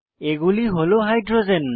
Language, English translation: Bengali, These are the Hydrogens